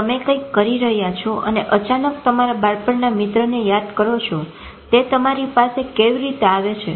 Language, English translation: Gujarati, You suddenly are doing something and suddenly you remember of your childhood friend